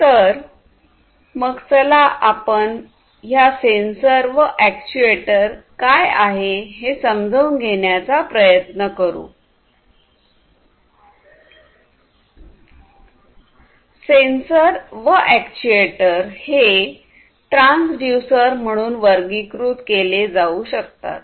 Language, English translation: Marathi, So, before we do, we need to understand that both sensors and actuators can be classified as transducers